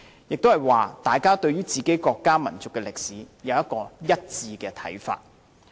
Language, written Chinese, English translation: Cantonese, 即是說，大家對自己國家民族的歷史能有一致看法。, In other words people will have a unanimous view concerning their own country and nation